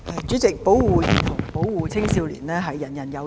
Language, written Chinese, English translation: Cantonese, 主席，保護兒童和青少年，人人有責。, President it is everyones responsibility to protect children and youngsters